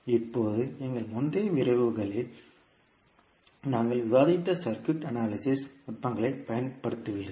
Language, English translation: Tamil, Now, you will use the circuit analysis techniques, what we discussed in our previous lectures